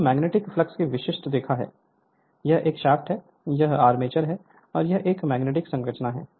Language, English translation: Hindi, So, this is the typical line of magnetic flux, this is a shaft, this is the armature and this is a magnetic structure